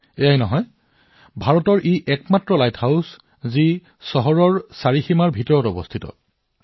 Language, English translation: Assamese, Not only this, it is also the only light house in India which is within the city limits